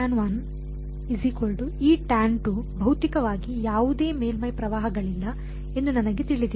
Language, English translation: Kannada, So, I know that physically there are no surface currents